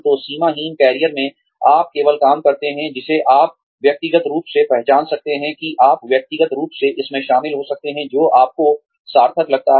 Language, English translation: Hindi, So, in boundaryless careers, you only take up work, that you can personally identify with, that you can personally get involved in, that seems meaningful to you